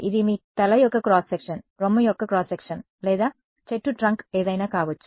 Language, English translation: Telugu, This could be you know cross section of your head, cross section of breast or could be a tree trunk could be anything